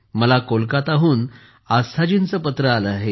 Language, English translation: Marathi, I have received a letter from Aasthaji from Kolkata